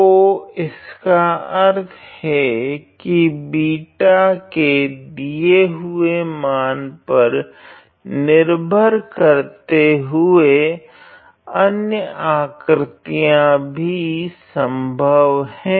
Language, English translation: Hindi, So, which means that which means that other shapes are also possible depending on the value of beta that is provided